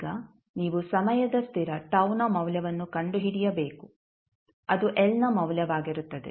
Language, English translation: Kannada, Now, you need to find the value of time constant tau which will be value of l